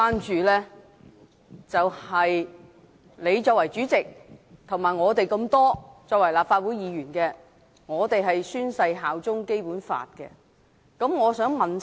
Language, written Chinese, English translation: Cantonese, 主席，你作為主席，以及我們作為立法會議員，都宣誓效忠《基本法》。, President you as the President and we as Legislative Council Members have all sworn to uphold the Basic Law